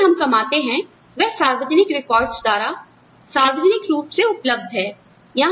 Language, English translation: Hindi, What we earn, is publicly available, through public records